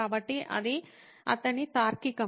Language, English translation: Telugu, So that was his reasoning